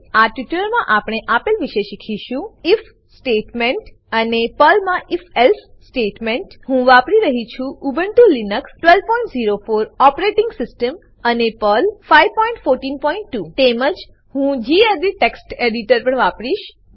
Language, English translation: Gujarati, In this tutorial, we will learn about if statement and if else statement in Perl I am using Ubuntu Linux12.04 operating system and Perl 5.14.2 I will also be using the gedit Text Editor